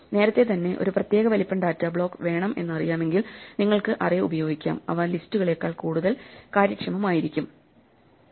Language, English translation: Malayalam, If you know in advance, you need a block of data of a particular size, arrays are much more efficient than lists